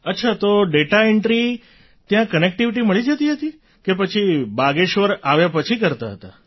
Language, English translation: Gujarati, O…was connectivity available there or you would do it after returning to Bageshwar